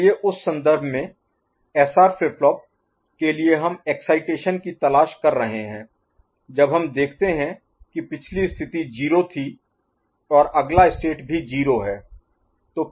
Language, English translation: Hindi, So, in that reference, in that context, for SR flip flop we are looking for excitation when we see that the previous state was 0 and next state is also 0 current state to next state right